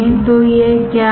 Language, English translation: Hindi, So, what is it